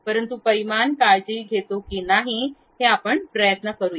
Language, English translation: Marathi, But let us try whether really the dimension takes care or not